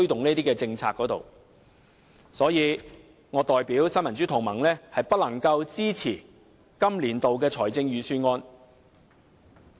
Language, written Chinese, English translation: Cantonese, 因此，我代表新民主同盟表示不能支持今年度的預算案。, Therefore on behalf of the Neo Democrats I declare that I cannot support this years Budget